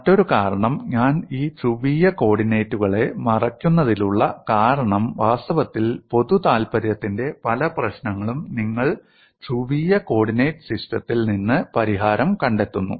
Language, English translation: Malayalam, Another reason, why I cover these polar coordinates, is in fact, many problems of common interest you find solution from polar coordinate system